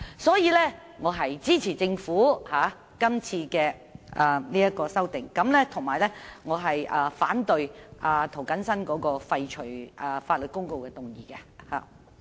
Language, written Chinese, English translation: Cantonese, 所以，我支持政府的修訂，反對涂謹申議員提出的廢除法律公告的議案。, Hence I support the amendments moved by the Government but oppose Mr James TOs motion which proposes to repeal the gazetted Legal Notice